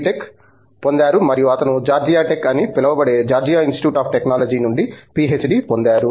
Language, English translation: Telugu, Tech from IIT, Madras and he has got a PhD from the Georgia Institute of Technology also called Georgia Tech, I guess